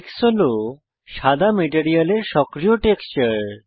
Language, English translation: Bengali, Tex is the White materials active texture